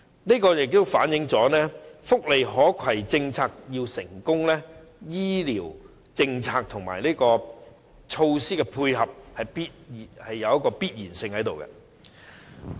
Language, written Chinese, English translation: Cantonese, 調查結果反映，福利可攜政策要成功，醫療政策和措施的配合是有必要的。, The survey results show that health care policies and measures must dovetail with the initiative of portable welfare benefits so that the latter can be successful